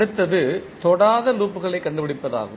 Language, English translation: Tamil, Next is to find out the Non touching loops